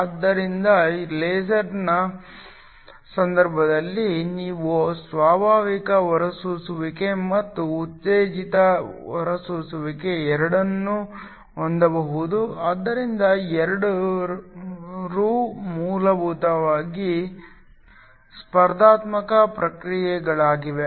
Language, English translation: Kannada, So, In the case of a laser you can have both spontaneous emission and stimulated emission so both of these are essentially competing processes